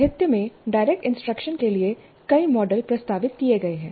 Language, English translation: Hindi, Several models for direct instruction have been proposed in the literature